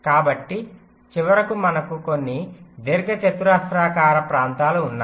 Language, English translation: Telugu, so finally, we have some rectangular regions